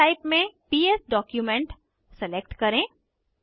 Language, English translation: Hindi, Select the File type as PS document